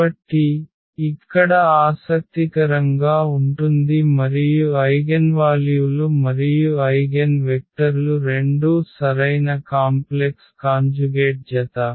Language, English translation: Telugu, So, that is interesting here and both the eigenvalues and eigenvectors are correct complex conjugate pair